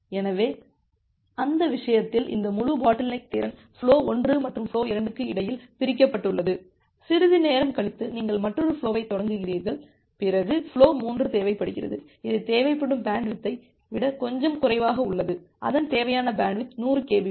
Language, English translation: Tamil, So, in that case, this entire bottleneck capacity is divided between flow 1 and flow 2 and after sometime say you have started another flow, flow 3 which has required which whose required bandwidth is little less, say its required bandwidth is something close to say 100 kbps